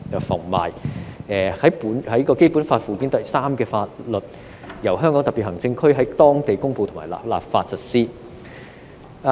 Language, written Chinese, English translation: Cantonese, 凡列於本法附件三之法律，由香港特別行政區在當地公布或立法實施。, The laws listed therein shall be applied locally by way of promulgation or legislation by the Region